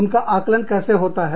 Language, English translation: Hindi, How they are evaluated